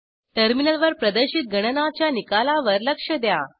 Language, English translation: Marathi, Notice the result of the calculation in the terminal